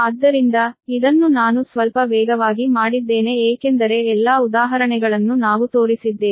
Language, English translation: Kannada, so this one i made little bit faster because all examples we have shown right